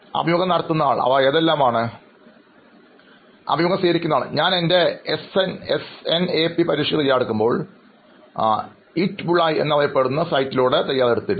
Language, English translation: Malayalam, Do you think that comes to… So while I was preparing for my SNAP exam, so I had prepared through the site known as the ‘Hitbullseye’